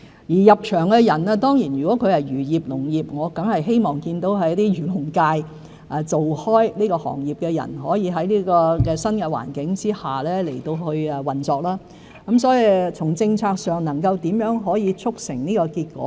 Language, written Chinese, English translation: Cantonese, 而入場的人如果是從事漁業、農業——我當然希望見到一直從事漁農業的人可在新環境下運作業務，我會認真考慮如何從政策上促成這結果。, If the new entrants are existing operators of the fisheries or agriculture industry―I certainly hope that people who have all along practised in the industry can run their business in the new environment and I will seriously consider how to achieve this result from the policy perspective